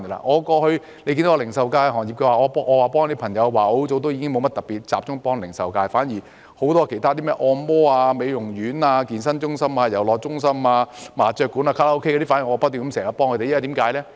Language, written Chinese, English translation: Cantonese, 我過去曾協助零售業，但我很久之前已沒有再特別集中協助零售業，反而轉為協助很多其他行業，例如按摩院、美容院、健身中心、遊樂中心、麻將館、卡拉 OK 等，我不斷協助他們。, I had assisted the retail industry in the past but I have not focused on helping the retail industry specifically for a long time . Instead I have been helping many other industries such as massage establishments beauty parlours fitness centres places of entertainment mahjong premises karaokes . I have been consistently helping them